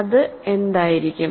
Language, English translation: Malayalam, So, what can it be